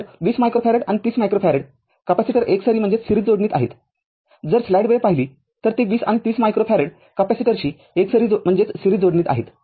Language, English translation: Marathi, So, 20 minus micro farad and 30 micro farad capacitors are in series, if you look into that 20 and 30 micro farad capacitors are in series